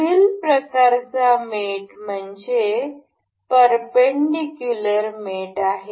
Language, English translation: Marathi, The next kind of mate is perpendicular mate